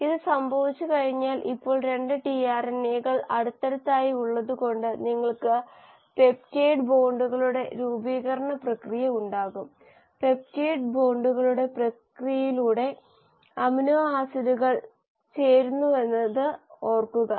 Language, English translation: Malayalam, Once this has happened, now the 2 tRNAs are next to each other you will have the process of formation of peptide bonds; remember to amino acids are joined by the process of peptide bonds